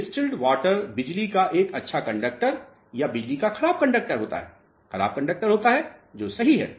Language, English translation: Hindi, Distilled water is a good conductor of electricity or bad conductor bad conductor of electricity that is right